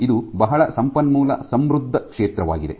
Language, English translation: Kannada, So, it is a very rich field